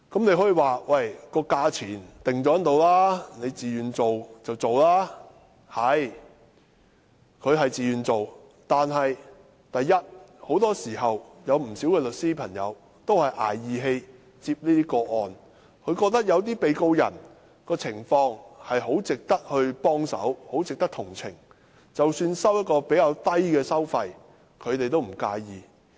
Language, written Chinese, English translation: Cantonese, 的確，他們是自願參與，但很多時候，不少律師都是"捱義氣"接這些個案。他們認為有些被告人的情況很值得幫忙和同情，所以即使收取的工資較低，他們也不介意。, Yes they take part in the scheme voluntarily . Yet more often than not a number of lawyers are taking these cases pro bono for the defendants for they consider the situations of some of the defendants warrant assistance and compassion and they do not mind getting a lower pay